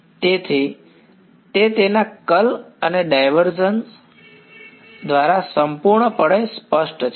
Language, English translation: Gujarati, So, its completely specified by its curl and divergence ok